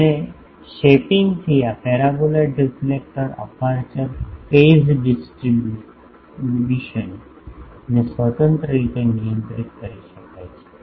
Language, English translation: Gujarati, And by shaping the this paraboloid reflector aperture phase distribution can be controlled independently